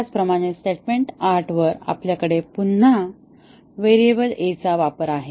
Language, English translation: Marathi, Similarly on statement 8, we have again uses of variable a